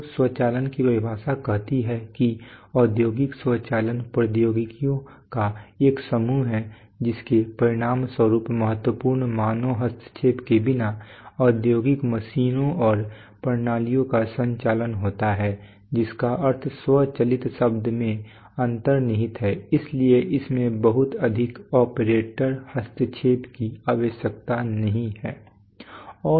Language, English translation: Hindi, So the definition of automation says as I read is that industrial automation is a set of technologies that results in operation of industrial machines and systems without significant human intervention number one that is the meaning which is embedded in the term self moving so it does not require too much operator intervention